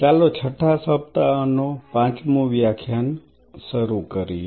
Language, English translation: Gujarati, Let us start the fifth class of sixth week